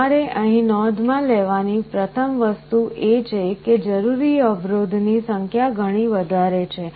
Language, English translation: Gujarati, The first thing you note is here is that the number of resistances required are much more